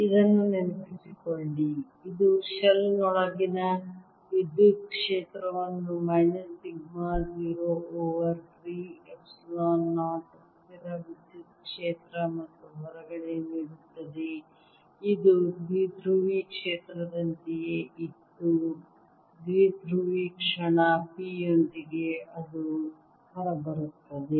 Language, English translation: Kannada, recall that this gave us the magnetic with the electric field inside the shell as minus sigma zero over three, epsilon zero, a constant electric field, and outside it was like a dipolar field with a dipole movement, p, whatever that comes out to be now